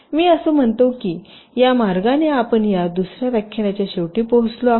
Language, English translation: Marathi, ok, so i think with this way we come to the end of this second lecture